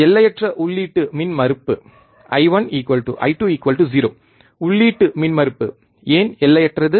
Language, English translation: Tamil, Infinite input impedance I 1 equals to I 2 equals to 0, why input impedance is infinite